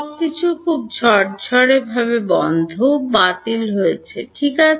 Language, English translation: Bengali, 0 everything has very neatly cancelled off right